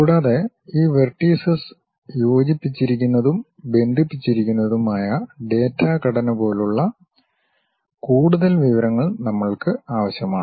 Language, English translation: Malayalam, And, we require certain more information like data structures which are which are these vertices connected with each other, linked